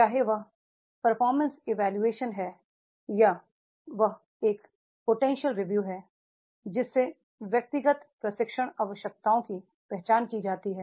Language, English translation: Hindi, Whether it is a performance appraisal or it is a potential appraisal, the individual training needs are identified